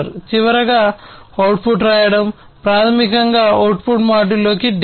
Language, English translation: Telugu, And finally, writing the output, writing basically the data into the output module